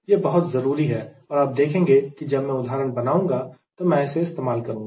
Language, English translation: Hindi, this is very important and you will see while i solve example i will be using that